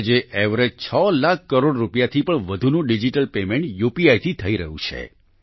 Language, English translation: Gujarati, Today, on an average, digital payments of more than 2 lakh crore Rupees is happening through UPI